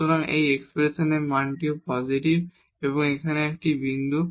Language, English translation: Bengali, So, this value of this expression is also positive and that is a point here